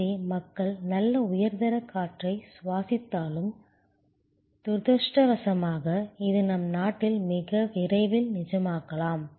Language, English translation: Tamil, So, people though in their to breath for at while good high quality air, unfortunately this may become a reality in our country very soon